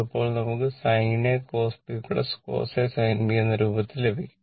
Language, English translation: Malayalam, So, it is sin a cos b plus cos a sin b